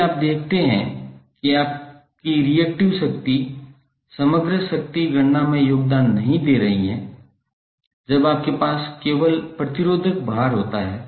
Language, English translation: Hindi, So if you see the equation your reactive power would not be contributing in the overall power calculation when you have only the resistive load